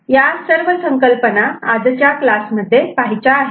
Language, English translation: Marathi, So, this is the concept that we shall cover in this particular class